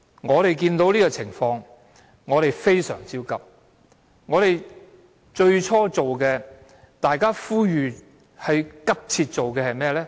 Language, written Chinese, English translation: Cantonese, 我們看到這個情況，非常焦急，我們最初呼籲大家急切做的是甚麼？, When we learnt what happened we were very anxious . What did we ask people to do urgently at that time?